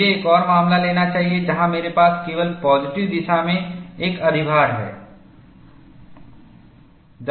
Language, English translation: Hindi, Then, we take another case, where I have an overload only in the positive direction